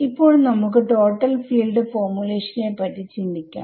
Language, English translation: Malayalam, But let us keep it simple let us just think about total field formulation for now ok